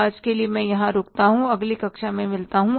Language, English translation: Hindi, For today, I stop here and we'll meet in the next class